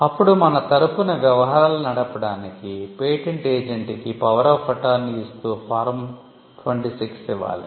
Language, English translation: Telugu, Then a power of attorney has to filed or Form 26, instead of the power of attorney, authorizing the patent agent to deal on your behalf